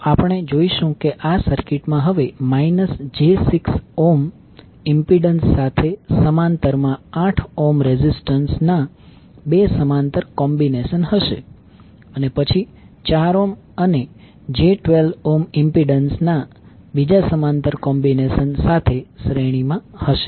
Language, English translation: Gujarati, We will come to know that this circuit will now contains two parallel combinations of 8 ohm resistance in parallel with minus J 6 ohm impedance and then in series with the another parallel combination of 4 ohm and j 12 ohm impedance